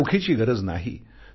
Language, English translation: Marathi, It does not need cash